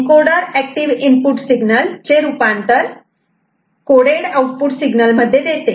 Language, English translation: Marathi, And encoder converts an active input signal to a coded output signal